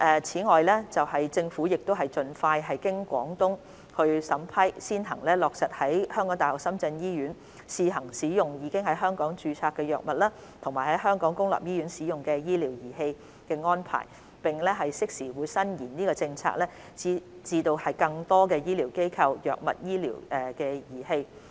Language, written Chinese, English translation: Cantonese, 此外，政府將盡快經廣東省審批，先行落實在香港大學深圳醫院試行使用已在香港註冊的藥物和香港公立醫院使用的醫療儀器的安排，並適時延伸政策至更多醫療機構、藥物及醫療儀器。, In addition the Government will implement as soon as possible the arrangement of using Hong Kong - registered drugs and medical devices used in Hong Kong public hospitals at The University of Hong Kong - Shenzhen Hospital on a trial basis subject to the approval of the Guangdong Province and extend the policy to cover more designated healthcare institutions drugs and medical devices in a timely manner